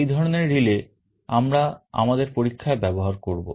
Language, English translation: Bengali, This is the relay that we shall be using in our experiment